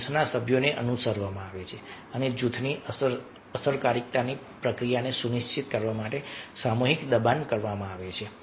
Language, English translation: Gujarati, group members are followed and collective pressure is exerted to ensure the process of group effectiveness